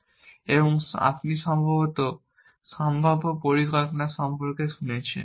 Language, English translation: Bengali, So, you must have heard about probabilistic planning